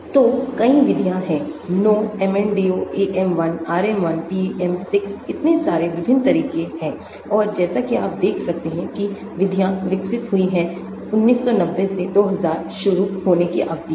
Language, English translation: Hindi, So, there are many methods, no MNDO, AM1, RM1, PM6, so many different methods and as you can see the methods is developed over a period of time starting from 1990's going down to 2000’s